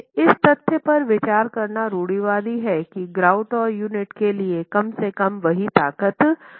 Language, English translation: Hindi, It is conservative considering the fact that the grout and the unit are required to have at least the same strength